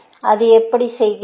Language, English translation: Tamil, How does it do that